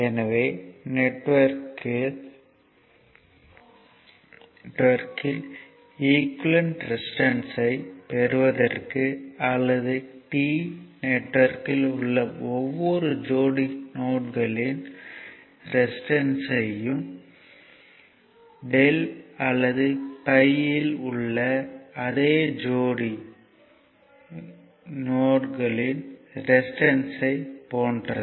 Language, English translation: Tamil, So, for obtaining the equivalent resistances in the star network, the resistance between each pair of nodes in the star or T network is the same as the resistance between the same pair of nodes in the delta or pi you know how it looks like